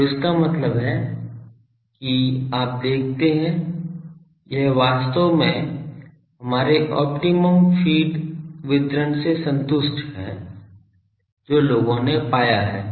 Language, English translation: Hindi, So that means, you see it actually satisfied our that feed optimum feed distribution that people have found